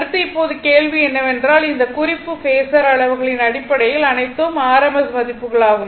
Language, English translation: Tamil, Right Next is, now question is that note that in terms of phasor quantities are all rms value right